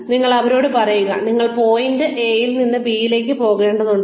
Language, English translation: Malayalam, So, you tell them that, you will need to go from point A to point B